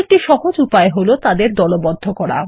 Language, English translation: Bengali, An easier way to do this is to group them